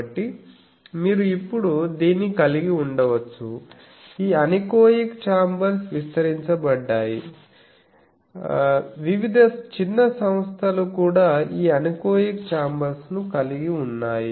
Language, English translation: Telugu, So, you can have this now one is these anechoic chambers are proliferated various small establishments also have this anechoic chambers